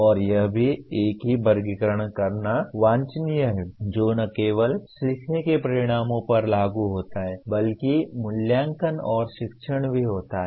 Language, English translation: Hindi, And it is also desirable to have the same taxonomy that is applicable to not only learning outcomes, but also assessment and teaching